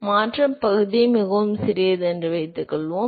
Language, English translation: Tamil, So, suppose if we assume that the transition region is very small